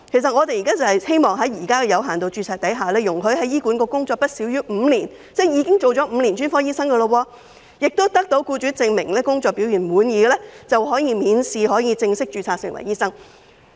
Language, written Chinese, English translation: Cantonese, 我們希望在現時有限度註冊的制度下，容許在醫管局工作不少於5年——即已經做了5年專科醫生——並得到僱主證明工作表現滿意的醫生，可以免試正式註冊成為醫生。, We hope that under the existing system of limited registration doctors who have worked in HA for not less than five years ie . having served as a specialist for five years and whose performance has been proven satisfactory by their employers will be allowed to fully register as medical practitioners without taking any examination